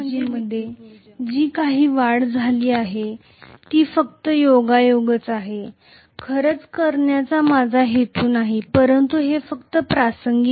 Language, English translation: Marathi, And whatever is the increase in the field energy that is just incidental, I am not intending to really do it but it is just incidental